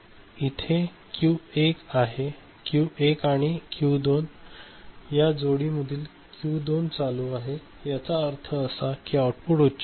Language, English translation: Marathi, So, if Q1 Q 2 pair this one so, this Q2 is ON ok; that means, the output will be your high ok